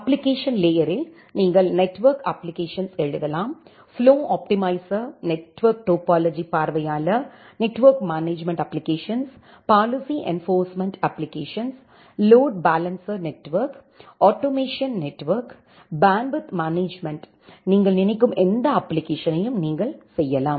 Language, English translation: Tamil, The application layer, where you can write down the network application like, the flow optimizer, the network topology viewer, network management application, policy enforcement application, load balancer network, automation network, bandwidth management, whatever application you can think of and you can design on top of that